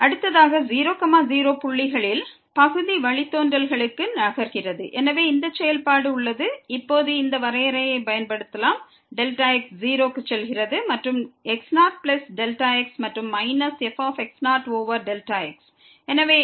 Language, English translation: Tamil, Next moving to the partial derivatives at points, so we have this function and we can use now this definition delta goes to 0 and plus delta and minus over delta